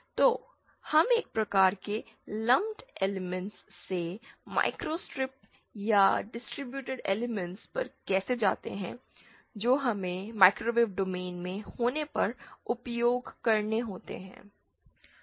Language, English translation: Hindi, So, how do we go from lumped elements to microstrip or distributed elements which we have to use when we are in the microwave domain